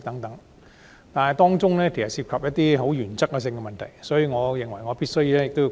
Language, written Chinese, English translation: Cantonese, 由於當中涉及一些原則問題，我認為我必須發言。, Given that some matters of principle are involved I feel it incumbent on me to speak